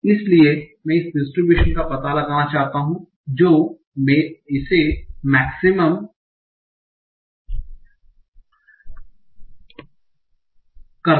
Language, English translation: Hindi, So, I want to find out this distribution that maximizes this